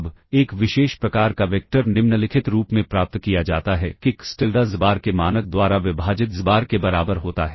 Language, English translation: Hindi, Now, a special kind of a vector is obtained as following that is xTilda equals xbar divided by the norm of xbar